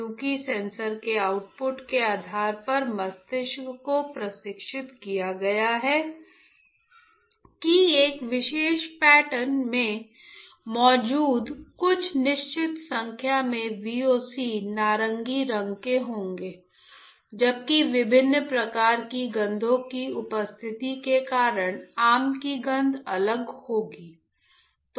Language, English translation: Hindi, Because, based on the outputs of the sensor the brain has been trained that certain number of VOCs present in a particular pattern will be of orange, whilst the way that mango will smell would be different because of the presence of different kind of smells